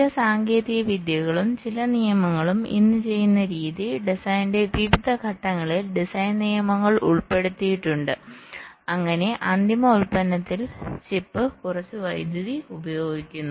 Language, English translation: Malayalam, some techniques and some rules you can say design rules are incorporated at various stages of the design so that out final product, the chip, consumes less power